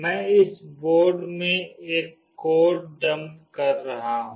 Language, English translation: Hindi, I will be dumping a code into this board